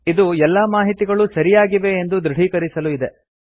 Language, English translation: Kannada, This is to confirm that all the information is correct